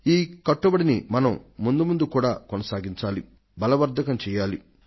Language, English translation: Telugu, We have to carry forward this commitment and make it stronger